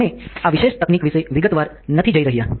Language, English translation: Gujarati, We are not going into detail about this particular technique